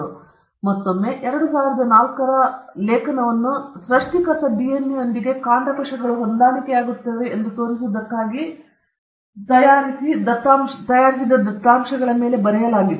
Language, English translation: Kannada, Then again, the 2004 paper was written on fabricated data to show that the stem cells match the DNA of the provider although they did not